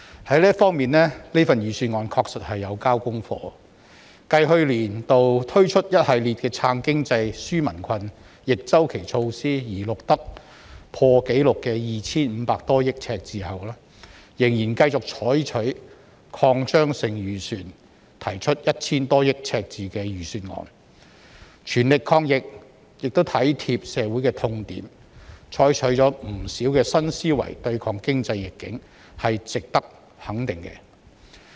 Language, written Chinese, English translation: Cantonese, 就這方面，預算案確實已"交功課"，繼去年度推出一系列"撐經濟、紓民困"逆周期措施而錄得破紀錄的 2,500 多億元赤字後，政府仍然繼續採取擴張性預算，提出 1,000 多億元赤字的預算案，全力抗疫亦體貼社會的痛點，採取了不少新思維對抗經濟逆境，這是值得肯定的。, After the introduction of a series of counter - cyclical measures to support the economy and relieve peoples burden which had led to a record deficit of 250 - plus billion last year the Government continues to adopt an expansionary budget and proposes one with a deficit of more than 100 billion . It has made all - out efforts to fight the epidemic showing empathy of the sufferings of society and has adopted many new ideas to combat economic adversity . These initiatives are worthy of our recognition